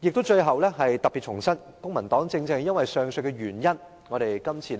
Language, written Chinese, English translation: Cantonese, 最後，我特別重申，公民黨正正因為上述原因，這次會投反對票。, Finally I have to reiterate specifically that the Civic Party will vote against the Budget for the reasons mentioned just now